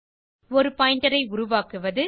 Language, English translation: Tamil, To create a pointer